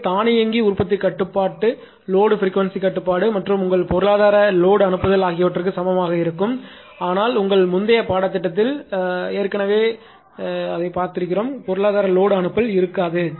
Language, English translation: Tamil, So, that is why automatic generation control is equal to load frequency control plus your economic load dispatch, but economy load dispatch will not be there because already taught in this your previous course